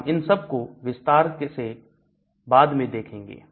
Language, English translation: Hindi, We are going to look at all of them in detail later